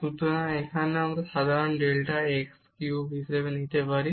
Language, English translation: Bengali, So, here also we can take common delta x cube